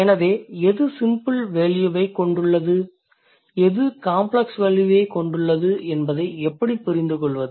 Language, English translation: Tamil, So, how to understand what is which one has a simpler value, which one has a more complex value